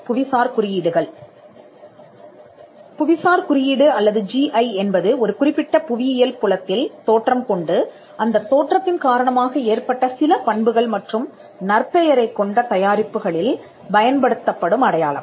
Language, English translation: Tamil, A geographical indication or GI is sign used on products that have a specific geographical origin and possess qualities or a reputation that are due to that origin